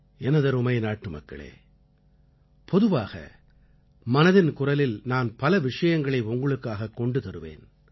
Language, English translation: Tamil, My dear countrymen, generally speaking, I touch upon varied subjects in Mann ki Baat